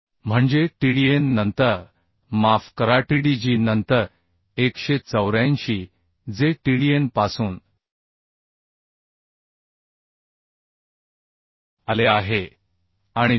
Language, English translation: Marathi, 36 that is Tdn then sorry Tdg then 184 which has come from Tdn and 373